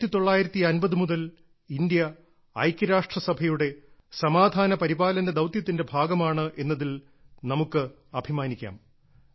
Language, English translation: Malayalam, We are proud of the fact that India has been a part of UN peacekeeping missions continuously since the 1950s